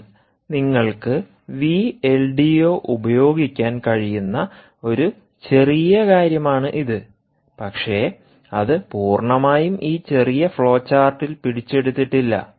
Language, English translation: Malayalam, but thats a minor point that you can use v l d o and but that is not really completely captured in this little flowchart